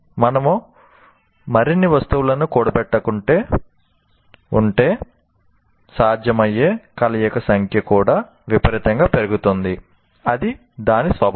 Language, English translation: Telugu, And if you keep accumulating more items, the number of possible combinations also grows exponentially